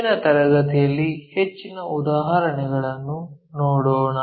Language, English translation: Kannada, Let us look at more problems in the next class